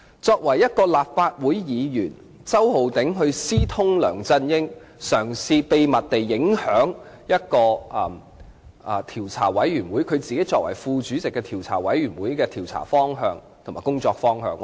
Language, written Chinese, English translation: Cantonese, 作為一位立法會議員，周浩鼎議員私通梁振英，嘗試秘密地影響由他擔任副主席的專責委員會的調查及工作方向。, As a Legislative Council Member Mr Holden CHOW secretly communicated with LEUNG Chun - ying in an attempt to covertly affect the direction of the inquiry and work of the Select Committee of which he was the Deputy Chairman